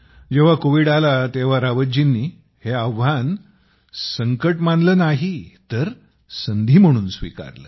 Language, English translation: Marathi, When Covid came, Rawat ji did not take this challenge as a difficulty; rather as an opportunity